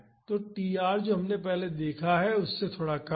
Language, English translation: Hindi, So, tr is slightly lesser than what we have seen earlier